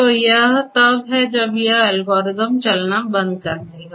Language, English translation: Hindi, So, that is when this algorithm will stop you know execution